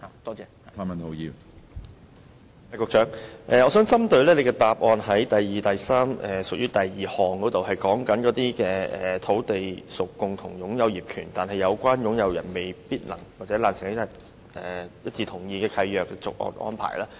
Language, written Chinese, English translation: Cantonese, 我想問局長有關主體答覆第二及三部分的第項，當中提到"如土地屬共有業權但有關擁有人未能或難以一致同意契約的續約安排"。, I would like to ask the Secretary about item ii of part 2 and 3 of the main reply which mentions that For land under multiple ownership but owners not unanimously agreeing on the arrangement for lease extension